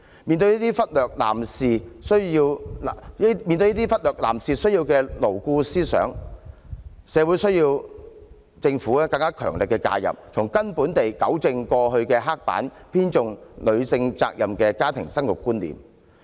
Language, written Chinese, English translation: Cantonese, 面對這些忽略男士需要的牢固思想，社會需要政府更強力的介入，從根本地糾正過往刻板、偏重女性責任的家庭生育觀念。, In the light of such prevailing rigid notions that show a disregard for mens needs the community calls for stronger intervention from the Government to radically rectify the stereotypical concept on childbirth that highlights womens responsibilities in a family